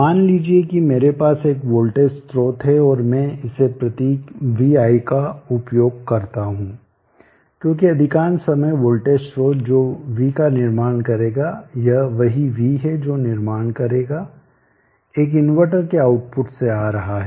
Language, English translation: Hindi, Let us say I have a voltage source and I use this symbol vi because most of the time the voltage source that v will be building this is what v will be building, is coming from the output of an inverter